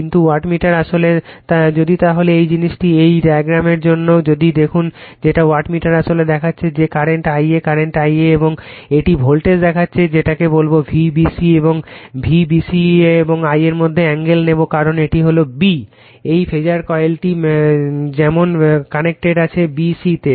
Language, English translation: Bengali, But wattmeter actually, , if therefore, your , this thing , for this diagram if you look into that wattmeter sees actually , that current current I a , current I a and it is , sees the voltage your what you call V b c , and it will take angle between V b c and I a right, because it is , b this phasor coil as connected at b c